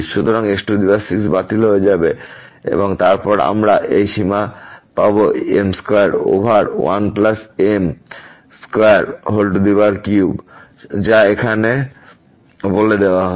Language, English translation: Bengali, So, power 6 will be cancelled and then we will get this limit square over 1 plus square cube; which is given here